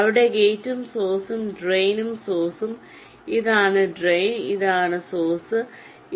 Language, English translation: Malayalam, here, gate and the source, ah, drain and the source, this is drain, this is source and gate